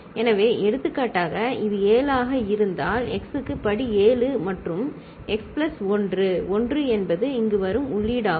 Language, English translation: Tamil, So, for example if it is a 7, so x to the power 7 plus x plus 1, 1 is the input that is coming here